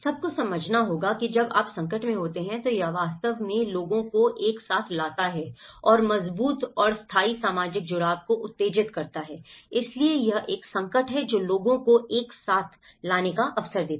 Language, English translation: Hindi, One has to understand, when you are in a crisis, it actually brings people together and stimulates stronger and lasting social connectedness so, this is a crisis also gives an opportunity to bring people together